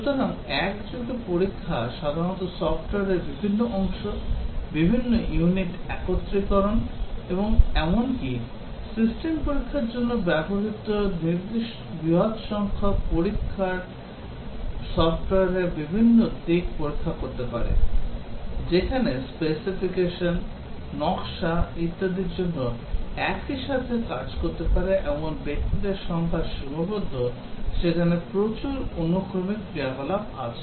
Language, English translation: Bengali, So, concurrent testing is usually undertaken different parts of the software, different units' integration and even for system testing large numbers of testers can test different aspects of the software; whereas for specification, design, etcetera the number of persons that can work concurrently is restricted, a lot of sequential activities there